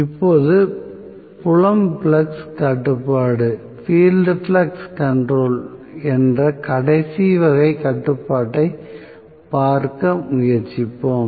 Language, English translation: Tamil, Now, let us try to look at the last type of control which is field flux control